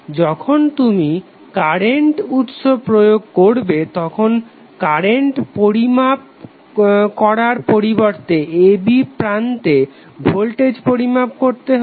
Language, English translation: Bengali, When you apply the current source instead of the current which you have measure here you have to measure the voltage across terminals a b